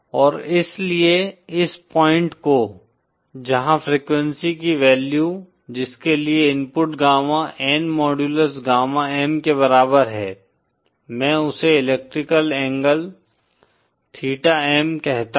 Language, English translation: Hindi, And so suppose this point, where the this value of frequency for which the input the gamma N modulus is equal to gamma M, I call that electrical angle theta M